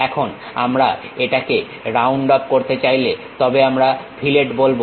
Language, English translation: Bengali, Now, we want to round it off then we call fillet